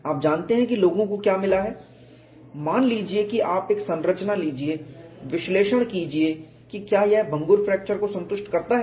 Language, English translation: Hindi, You know what people have found is suppose you take a structure, analyze whether it satisfies brittle fracture